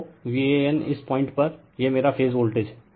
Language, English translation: Hindi, So, V an is this point, this is my phase voltage